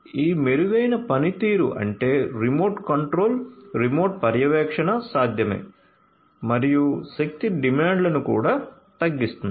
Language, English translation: Telugu, So, all of these improved performance remote control, remote monitoring can be possible and also reduced energy demands